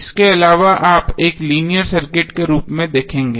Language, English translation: Hindi, External to that you will see as a linear circuit